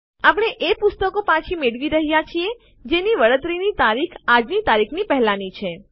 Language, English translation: Gujarati, We are retrieving books for which the Return Date is past todays date